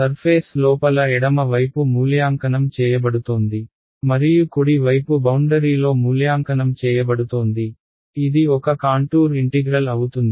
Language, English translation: Telugu, Some surface the left hand side is being evaluated inside and the right hand side is being evaluated on the boundary it is a contour integral